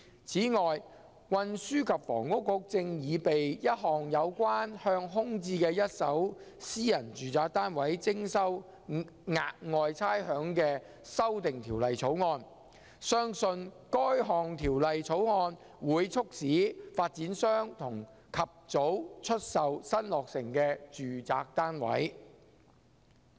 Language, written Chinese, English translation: Cantonese, 此外，運輸及房屋局正擬備一項有關向空置的一手私人住宅單位徵收"額外差餉"的法案，相信該項法案會促使發展商及早出售新落成的住宅單位。, In addition the Transport and Housing Bureau is preparing a bill to introduce Special Rates on vacant first - hand private residential units . It is believed that the bill will prompt developers to sell newly completed domestic units early